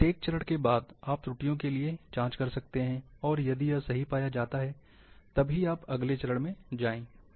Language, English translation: Hindi, After each and every step, you can check for errors, if found, correct it then go to the next step